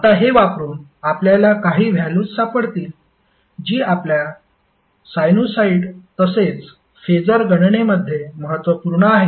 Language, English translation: Marathi, Now using these you can find out few values which are imported in our sinusoid as well as phaser calculation